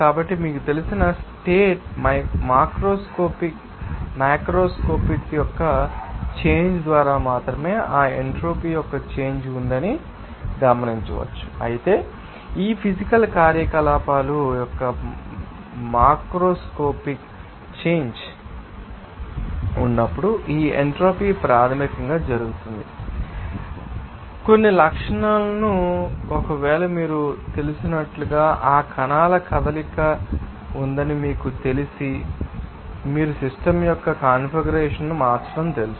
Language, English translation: Telugu, So, we can observe that there is a change of that entropy only by change of that macroscopic you know states whereas, this entropy basically happens when there will be a microscopic change of this physical activities, they are or you can see that some characteristics they are and like you know that if suppose, there is a motion of that particles even if you are you know changing the configuration of the system